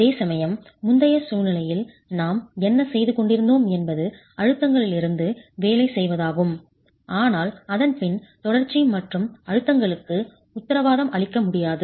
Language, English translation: Tamil, That has what we've been doing in the earlier situation is working from the stresses but then the stresses cannot, the continuity in stresses cannot be guaranteed